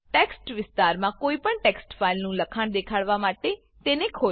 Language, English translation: Gujarati, Open any text file to display its contents in the text area